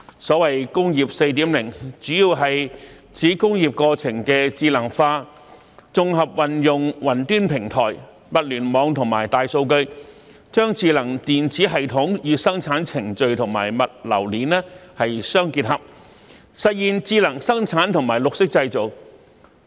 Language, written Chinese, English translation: Cantonese, 所謂"工業 4.0"， 主要是指工業過程的智能化，綜合運用雲端平台、物聯網和大數據，將智能電子系統與生產程序和物流鏈相結合，實現智能生產和綠色製造。, Industry 4.0 mainly refers to the intelligentization of the industrial process as well as the integration of smart system the production process and the logistic chain by using cloud platforms the Internet of Things and big data to achieve smart production and green manufacturing